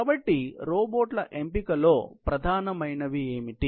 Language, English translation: Telugu, So, what are the prime considerations in selection of robots